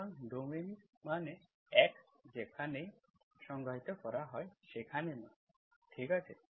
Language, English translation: Bengali, So domain means values x takes wherever it is defined, okay